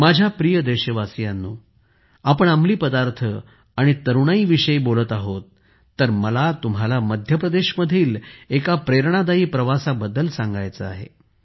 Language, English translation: Marathi, My dear countrymen, while talking about drugs and the young generation, I would also like to tell you about an inspiring journey from Madhya Pradesh